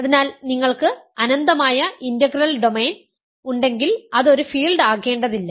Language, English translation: Malayalam, So, if you have an infinite integral domain it need not be a field